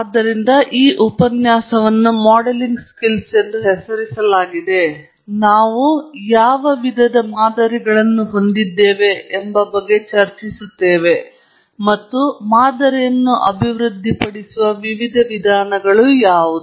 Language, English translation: Kannada, So, the lecture is titled as Modelling Skills, but it’s not just about skills that we will discuss; we will also discuss what types of models we have, and what are the different ways of developing a model, and so on